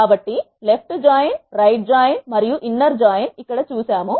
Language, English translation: Telugu, So, we have seen left join, right join and inner join